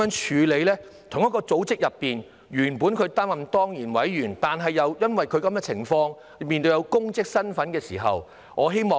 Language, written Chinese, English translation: Cantonese, 在同一個組織內，原本應擔任當然委員的，卻又因為這種情況，因為有公職身份的時候，會如何處理呢？, In the same organization for those who should have served as ex - officio members but such a situation arises because of their official capacity how should it be handled?